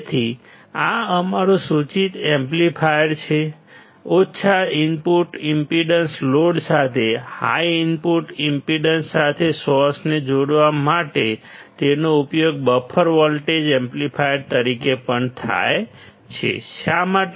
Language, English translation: Gujarati, So, this is our indicated amplifier; it is also used as a buffer voltage amplifier to connect a source with high input impedance to a low output impedance load; why